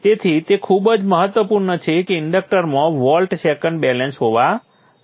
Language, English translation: Gujarati, So it is very, very important that there is volt second balance in an inductor